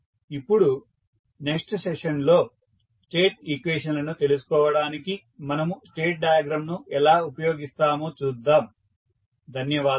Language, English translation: Telugu, Now, we will see next how we will use the state diagram to find out the state equations, thank you